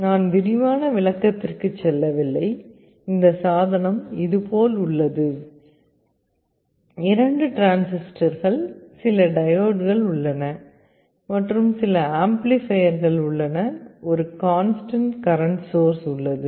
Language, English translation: Tamil, Internally I am not going into the detail explanation, this device looks like this, you see there are two transistors, some diodes, there are some amplifiers, there is a constant current source